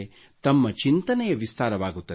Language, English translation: Kannada, Your thinking will expand